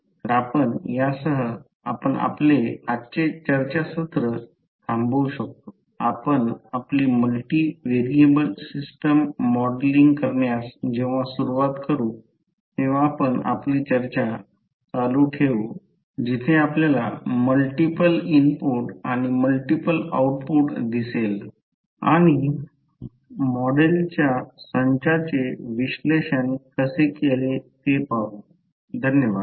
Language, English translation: Marathi, So with this we can close our today’s discussion, we will continue our discussion while we start modelling the multi variable system where you will see multiple input and multiple output and how you will analyze those set of model, thank you